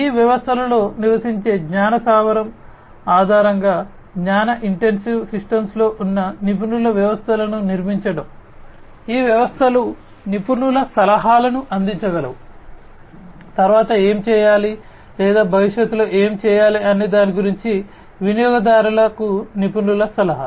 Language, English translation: Telugu, Building expert systems, which are basically in knowledge intensive systems, based on the knowledge base, that is resident in these systems, these systems can provide expert advice; expert advice to users about what should be done next or what should be done in the future